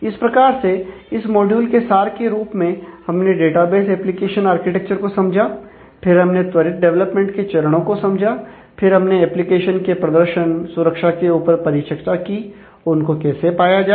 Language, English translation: Hindi, So, in this module to summarize your study aspects of database application architecture, understood the steps of rapid development, and took a quick look into the issues of application performance security, and what it takes to